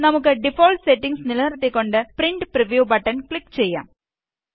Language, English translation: Malayalam, Let us keep the default settings and then click on the Print Preview button